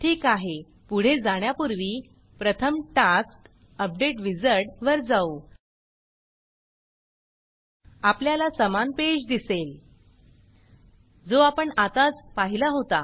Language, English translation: Marathi, Alright, before we proceed with this, let us first go to the task, update wizard – we see the identical page we saw a little earlier